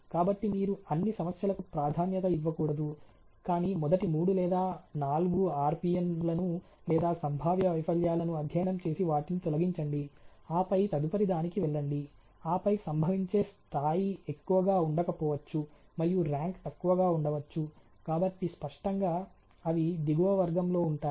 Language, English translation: Telugu, And then studies the next three or next four, we should not a priorities yourself towards also all of them, but study may be the first 3 or 4 RPN a or the potential failure and eliminated them, and the goes to the next ones and then there may be somewhere the occurrence may not be that high and rank may be lower, so obviously, those would be in the lower category